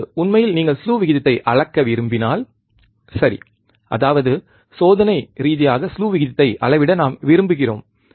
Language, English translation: Tamil, Now, in reality if you want measure slew rate right; that means, experimentally we want to measure slew rate